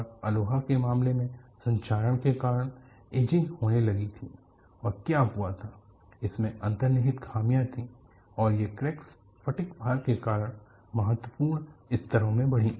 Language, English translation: Hindi, And in the case of Aloha, there was ageing due to corrosion, and what happened was you had inherent flaws, and these cracks grew into critical levels due to fatigue loading